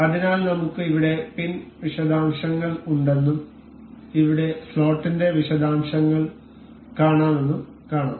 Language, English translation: Malayalam, So, we will here we can see we have the details of pin and here we have the details of slot